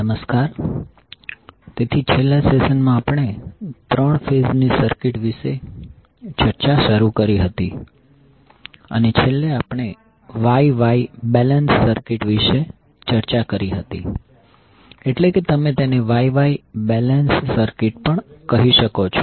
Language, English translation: Gujarati, Namaskar, so in last session we started our discussion about the 3 phase circuits and last we discussed about the star star balance circuit that means you can also say Wye Wye balance circuit